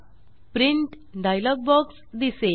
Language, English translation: Marathi, Now, the Printing dialog box appears